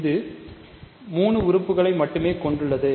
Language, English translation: Tamil, So, it has only 3 elements right